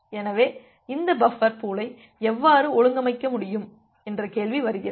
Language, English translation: Tamil, So, the question comes that how can you organize this buffer pool